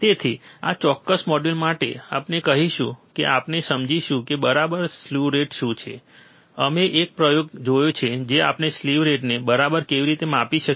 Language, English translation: Gujarati, So, for this particular module, we will we will we understood of what what exactly slew rate is we have seen an experiment how we can measure the slew rate ok